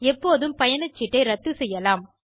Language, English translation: Tamil, AndHow to cancel the ticket.